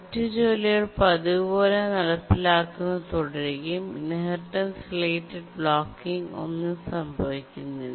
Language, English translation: Malayalam, The other tasks continue to execute as usual, no inheritance related blocking occurs